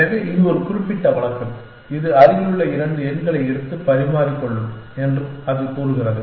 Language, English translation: Tamil, So, this is a particular case of that, it says that take two adjacent numbers and exchange that